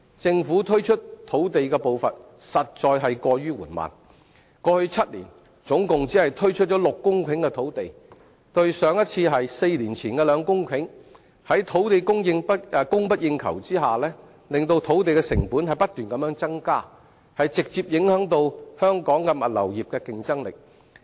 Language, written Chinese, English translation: Cantonese, 政府推出土地的步伐實在過於緩慢，過去7年，總共只推出6公頃的土地，上一次是4年前的2公頃土地，在土地供不應求的情況下，令土地成本不斷增加，直接影響香港物流業的競爭力。, The Government is really too slow in providing land . In the past seven years it has only provided a total of 6 hectares of land and 2 hectares of which was provided four years ago . Excessive demand for land has resulted in continuous rise in land costs which has in turn directly hampered the competitiveness of the logistics industry in Hong Kong